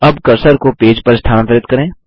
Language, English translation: Hindi, Now move the cursor to the page